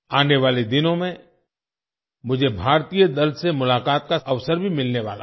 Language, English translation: Hindi, In the coming days, I will also get an opportunity to meet the Indian team